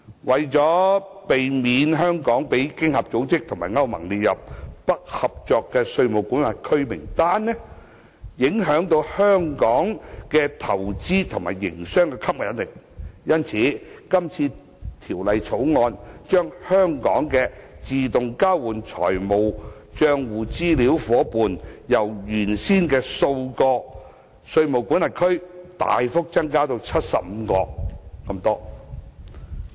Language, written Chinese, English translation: Cantonese, 為免香港被經合組織及歐盟列入"不合作稅務管轄區"名單，影響香港的投資和營商吸引力，因此，《條例草案》把香港的自動交換資料夥伴，由原先的數個稅務管轄區大幅增加至75個稅務管轄區。, To prevent Hong Kong from being listed as a non - cooperative tax jurisdiction by OECD and EU to the detriment of its investment and business appeal the Bill substantially increases the number of jurisdictions that are Hong Kongs AEOI partners from the existing few to 75